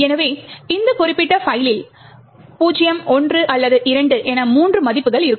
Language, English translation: Tamil, So, this particular file would have 3 values 0, 1 or 2